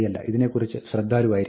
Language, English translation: Malayalam, Just be careful about this